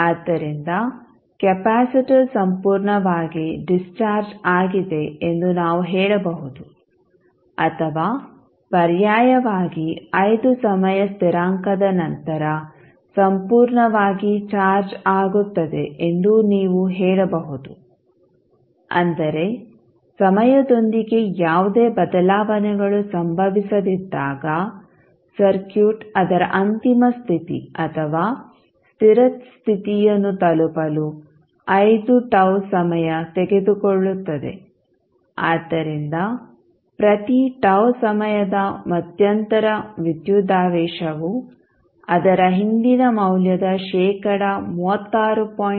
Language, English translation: Kannada, So, what we can say, that, the capacitor is fully discharged or alternatively you can say is fully charged after 5 times constants so, means it takes 5 tau fort the circuit to reach its final state or steady state when, no changes take place with time, so every time interval of tau the voltage is reduced by 36